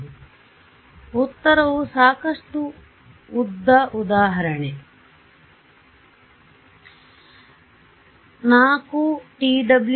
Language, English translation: Kannada, So, the answer is long enough example 4 t w into 2